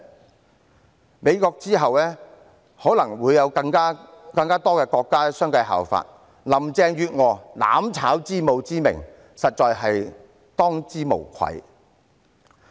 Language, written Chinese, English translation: Cantonese, 繼美國之後，可能會有更多國家相繼效法，林鄭月娥"攬炒之母"之名，實在是當之無愧。, More countries may follow the lead of the United States . Carrie LAM truly deserves the title of mother of mutual destruction